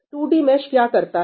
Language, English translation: Hindi, So, what does a 2D mesh do